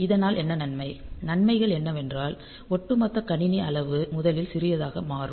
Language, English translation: Tamil, So, what are the advantage; advantages are like this that first of all the overall system size becomes small